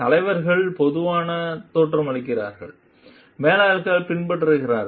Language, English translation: Tamil, Leaders generally originate; managers imitate